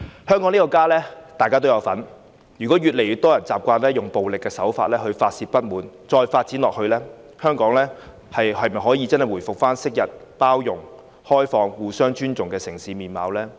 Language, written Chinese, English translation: Cantonese, 香港這個家，大家都有份，如果越來越多人習慣以暴力手法來發泄不滿，這樣發展下去，香港能否回復昔日包容、開放和互相尊重的城市面貌呢？, Hong Kong is home to all of us . If more and more people are accustomed to venting their discontent with violence and if this continues can Hong Kong revert to the city where people are tolerant open and respectful to one another as in the past?